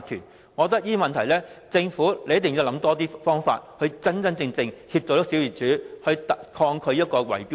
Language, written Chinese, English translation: Cantonese, 就着這些問題，政府一定要多想方法，真正幫助小業主對抗圍標。, With regard to these problems the Government must come up with more solutions to really help small property owners counter bid - rigging